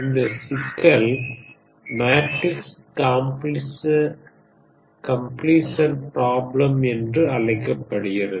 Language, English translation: Tamil, This is known as a Matrix Completion Problem